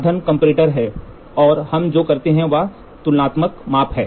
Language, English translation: Hindi, The instrument is comparator and what we do is a comparison measurement